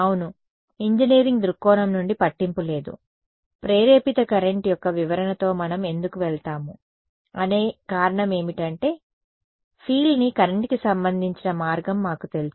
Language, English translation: Telugu, Yeah, from an engineering point of view does not matter there is induced the reason why we will go with the interpretation of induced current is because we know a way of relating field to current right